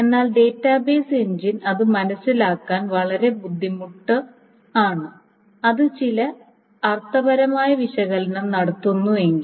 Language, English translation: Malayalam, But that is very, very hard for the database engine to figure it out and unless it does some semantic analysis